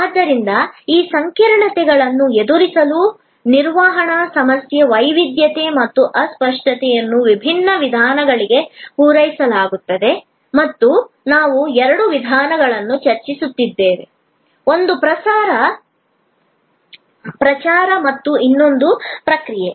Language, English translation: Kannada, So, the management problem for tackling these complexities arising from heterogeneity and intangibility are met by different approaches and we have been discussing two approaches, one promotion and the other process